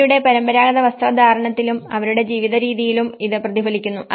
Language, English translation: Malayalam, And also it is reflected in terms of their wearing a traditional dress and their living patterns